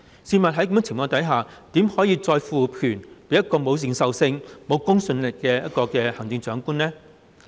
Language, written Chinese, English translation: Cantonese, 試問在這種情況下，怎可以再賦權予沒有認受性、沒有公信力的行政長官呢？, Against this background how can the Chief Executive without a mandate and credibility be conferred with such power?